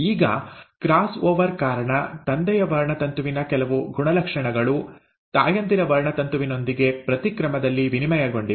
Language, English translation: Kannada, So now because of the cross over, some characters of the father’s chromosome have been exchanged with the mother’s chromosome and vice versa